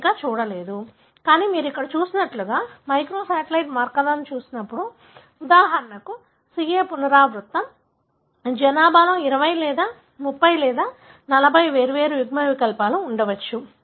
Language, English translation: Telugu, You do not see many more, but when you are looking at microsatellite markers like what is shown here, the CA repeat for example, there may be 20 or 30 or 40 different alleles in the population